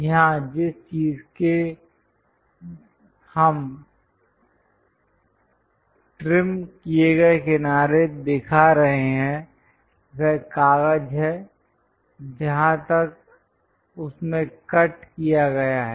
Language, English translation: Hindi, So, here, the thing what we are showing trimmed edge is the paper up to which the cut has been done